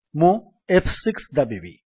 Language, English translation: Odia, I am pressing F6 now